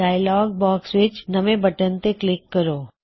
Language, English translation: Punjabi, Click on the New button in the dialog box